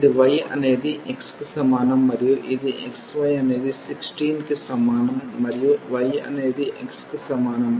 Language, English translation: Telugu, This is y is equal to x and this is xy is equal to 16 and y is equal to x